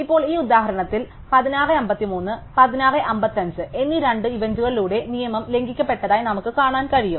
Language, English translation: Malayalam, Now, in this example we can see that the rule is violated by the 2 events at 16:53 and 16:55